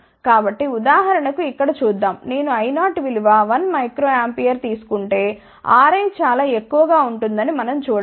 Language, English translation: Telugu, So, let just see here if it take I 0 for example, 1 microampere we can see that R i will be very large